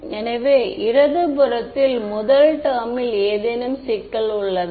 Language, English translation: Tamil, So, first term on the left hand side any problem